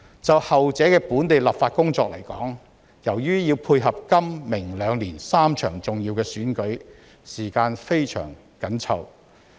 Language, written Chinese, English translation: Cantonese, 就後者的本地立法工作來說，由於要配合今明兩年3場重要的選舉，時間非常緊湊。, As far as local legislative work for the latter was concerned time was tight in the run - up to the three important elections to be held this year and the coming year